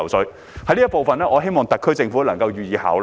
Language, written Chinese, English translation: Cantonese, 主席，就這方面，我希望特區政府能夠予以考慮。, President I hope the SAR Government can consider this aspect